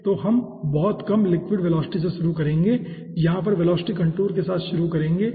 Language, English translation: Hindi, okay, so we will be starting with very low liquid velocity, will be starting with the velocity contour over here